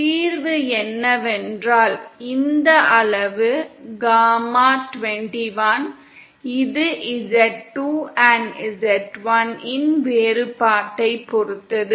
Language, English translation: Tamil, The solution is that this quantity, gamma 21 which is dependent on the difference of z2 & z1